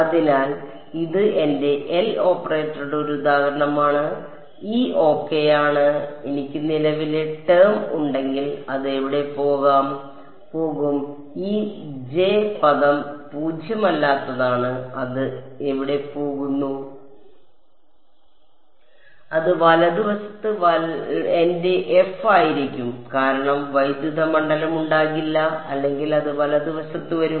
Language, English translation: Malayalam, So, this is an example of my L operator and this is my phi ok, if I had a current term where do it go; this J term it is a non zero where do it go it would be my f on the right hand side right because there would be no electric field or anything it would come on the right hand side